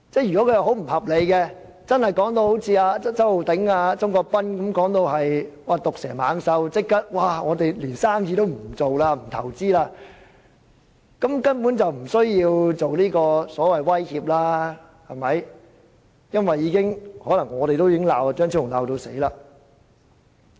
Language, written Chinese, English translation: Cantonese, 如果修正案不合理，是周浩鼎議員及鍾國斌議員口中的毒蛇猛獸，足以令商家不做生意、不作投資，局長根本不用出言威脅，因為我們自會大罵張超雄議員。, If Dr Fernando CHEUNGs amendments were so unreasonable and were scourges as described by Mr Holden CHOW and Mr CHUNG Kwok - pan to deter business operation and investment the Secretary actually did not need to make any verbal coercion since we would naturally berate Dr Fernando CHEUNG